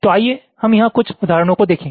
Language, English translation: Hindi, so let us look at some examples here